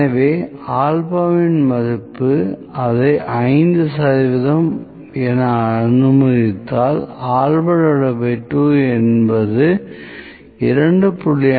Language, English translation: Tamil, So, the value of alpha, if it is let me say 5 percent alpha by 2, will be 2